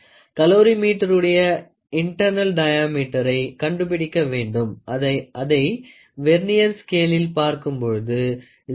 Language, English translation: Tamil, Find actually internal diameter of the calorimeter when it is observed that the Vernier scale has a 0 error of minus 0